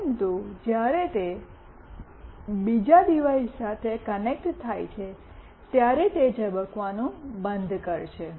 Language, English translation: Gujarati, But, when it is connected with another device, then it will stop blinking